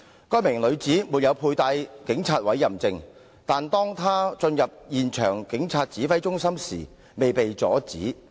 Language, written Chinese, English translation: Cantonese, 該名女子沒有佩帶警察委任證，但當她進入現場警察指揮中心時未被阻止。, Albeit not wearing a police warrant card the woman was not stopped when she entered the Police Command Post on the spot